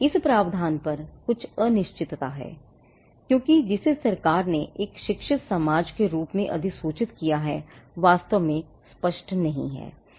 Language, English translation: Hindi, Now, there is some uncertainty on this provision because one, what the government has notified as a learned society is not really clear